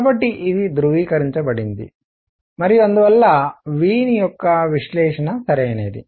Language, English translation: Telugu, So, this is confirmed and therefore, Wien’s analysis was correct